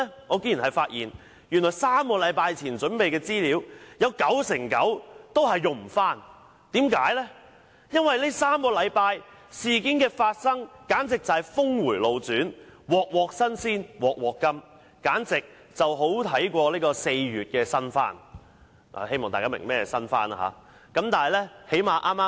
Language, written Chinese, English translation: Cantonese, 我竟然發現，原來3星期前準備的資料，有九成九都不能重用，因為在這3星期，事件的發生簡直是峰迴路轉，"鑊鑊新鮮鑊鑊甘"，比4月的"新番"更好看——希望大家明白何謂"新番"。, To my surprise as it turned out I found that 99 % of the information prepared by me three weeks ago could not be reused . This is because over the past three weeks there has been a dramatic turn of events with unexpected and dreadful developments . What we have seen is more spectacular than the Shin Bangumi released in April―I hope Members understand what Shin Bangumi means